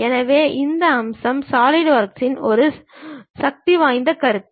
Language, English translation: Tamil, So, these features is a powerful concept in solidworks